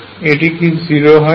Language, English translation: Bengali, What if V is not 0